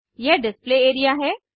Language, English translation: Hindi, This is the Display area